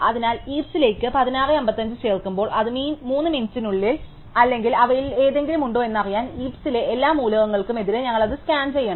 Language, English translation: Malayalam, So, when 16:55 is added to the heap, we have to scan it against all the elements in the heap in order to find out whether it is within 3 minutes or any of them